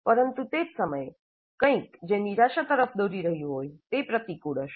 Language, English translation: Gujarati, But at the same time, something which is going to lead to a frustration will be counterproductive